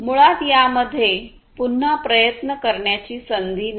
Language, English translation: Marathi, So, there is basically no scope for retry